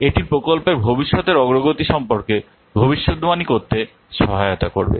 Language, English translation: Bengali, It will help in predicting the future progress of the project